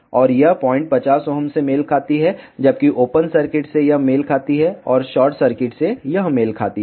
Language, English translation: Hindi, And this point corresponds to 50 Ohm, whereas this corresponds to open circuit and this corresponds to short circuit